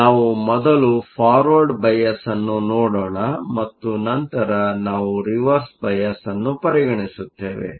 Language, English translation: Kannada, So, let us look at Forward bias first and then we will consider Reverse bias